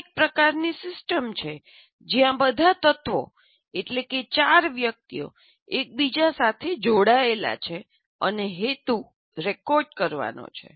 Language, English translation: Gujarati, So what happens, This is a kind of a system where all the elements, namely the four people, are interrelated and the purpose is to record